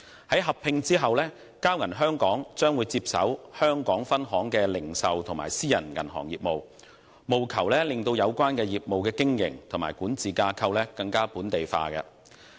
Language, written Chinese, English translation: Cantonese, 在合併後，交銀香港將會接手香港分行的零售及私人銀行業務，務求令有關業務的經營及管治架構更本地化。, After the merger Bank of Communications Hong Kong will take over the retail banking business and private banking business of the Hong Kong Branch with a view to further localizing the operation and governance structure of the businesses concerned